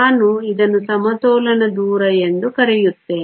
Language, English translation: Kannada, Let me call this equilibrium distance